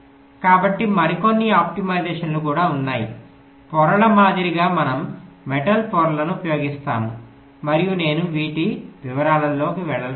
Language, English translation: Telugu, so there is some other optimizations which are also carried out, like ah, like the layers, we use the metal layers and i am not going with detail of these